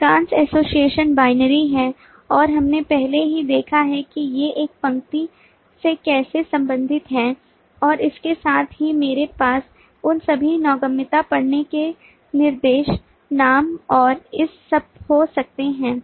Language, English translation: Hindi, most associations are binary and we have already seen how these are related to one line and along with that i could have all those navigability, reading directions, name and all of this